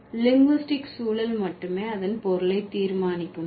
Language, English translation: Tamil, Does linguistic context alone decide the meaning